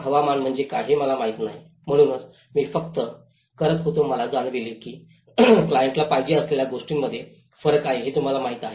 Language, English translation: Marathi, I don’t know what is a climate, so it is only just I was doing I realized that you know that’s where there is a gap between what the client wants